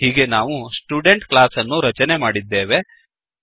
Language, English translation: Kannada, Thus, We have created the class student